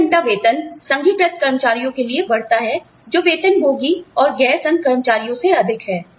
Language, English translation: Hindi, Hourly pay, increases for unionized employees, that exceed, those of salaried and non union employees